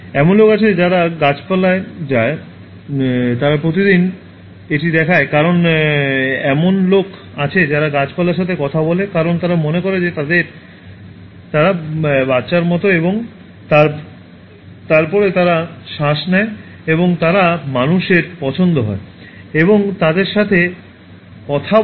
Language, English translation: Bengali, There are people who go to plants, they watch them every day because there are people who talk to plants, because they feel that they are like their children and then they breathe and they like human beings going and talking to them